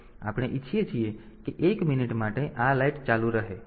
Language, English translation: Gujarati, So, we want that for 1 minute this red light should be on